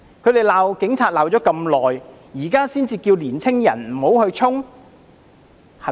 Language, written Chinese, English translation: Cantonese, 他們罵警察罵了那麼久，現在才叫年青人不要衝？, Is it not too hypocritical of them to urge young people not to charge ahead now after their prolonged upbraiding of the Police?